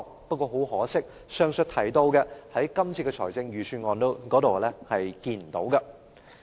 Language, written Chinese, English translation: Cantonese, 不過，很可惜，前述的範疇，在今次這份預算案中也看不到。, Regrettably the areas mentioned are not found in the Budget this year